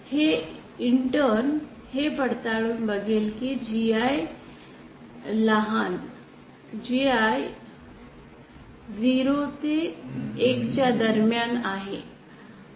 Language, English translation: Marathi, This intern verifies that GI, small gi is between 0 and 1